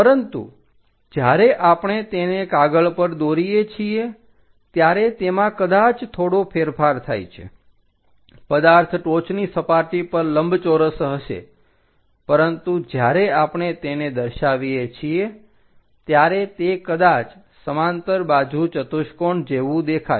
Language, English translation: Gujarati, But when we are drawing it on the sheet, it might be slightly skewed, the object might be rectangular on that top surface, but when we are representing it might look like a parallelogram